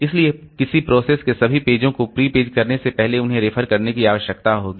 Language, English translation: Hindi, So, pre page all or some of the pages of a process will need before they are referenced